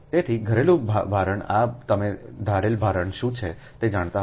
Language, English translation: Gujarati, right, so domestic loads this you, you will be knowing what is domestic load